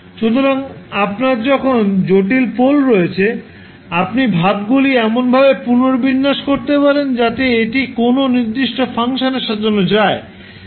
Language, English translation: Bengali, So, when you have complex poles, you can rearrange the expressions in such a way that it can be arranged in a particular fashion